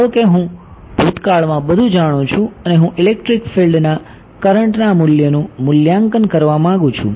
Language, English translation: Gujarati, Supposing I know everything in the past and I want to evaluate the current value of electric field